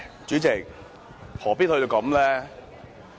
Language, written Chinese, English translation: Cantonese, 主席，何必要這樣呢？, President why do we have to come to this pass?